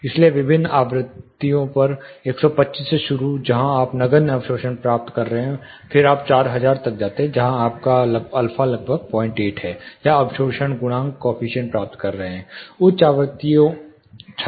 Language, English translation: Hindi, So, at different frequency, starting from 125 where you are getting about negligible absorption, then you go all way up to 4000, where you are getting about 0